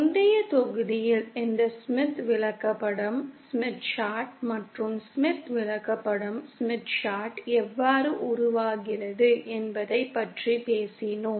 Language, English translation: Tamil, In the previous module we had talked about this Smith Chart and how the Smith Chart is formed